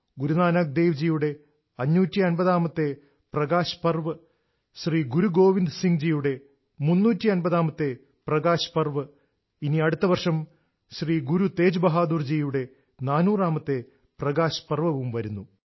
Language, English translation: Malayalam, 550th Prakash Parva of Guru Nanak Dev ji, 350th Prakash Parv of Shri Guru Govind Singh ji, next year we will have 400th Prakash Parv of Shri Guru Teg Bahadur ji too